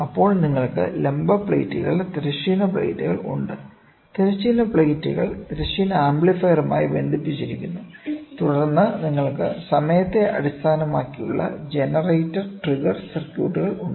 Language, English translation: Malayalam, Then you have vertical plates, horizontal plates; horizontal plates are connected to horizontal amplifier, then time based generator trigger circuits you are have, ok